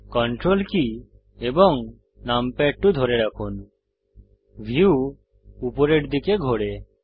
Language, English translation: Bengali, Hold ctrl and numpad2 the view pans upwards